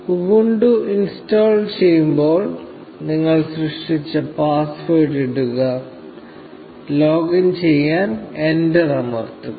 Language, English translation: Malayalam, So, just put in the password that you created at the time of installing Ubuntu, and press enter to login